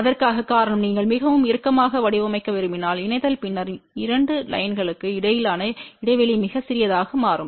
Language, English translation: Tamil, The reason for that is if you want to design very tight coupling then the gap between the two lines become very, very small